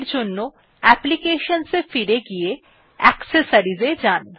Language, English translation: Bengali, For that go back to Applications and then go to Accessories